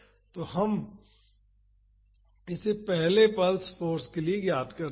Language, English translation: Hindi, So, now, let us find this out for the first pulse force